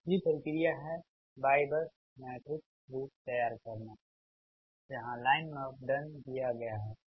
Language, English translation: Hindi, second step is form the y bus matrix, that is, line parameters are given